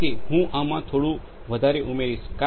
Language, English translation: Gujarati, So, I will add a little more onto this